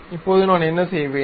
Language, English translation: Tamil, Now, what I will do